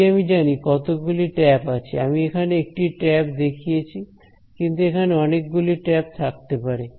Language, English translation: Bengali, If I know the tap if I know how many taps are in this, right now I have shown only one tap, but they could be more taps right